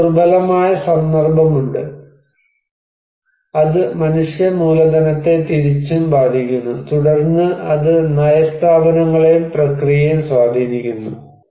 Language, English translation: Malayalam, So, we have vulnerability context, then it is impacting human capital vice versa, and then it is influencing the policy institutions and process